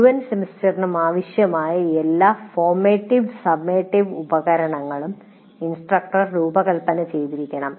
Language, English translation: Malayalam, So the instructor should be designing all formative and summative instruments needed for the entire semester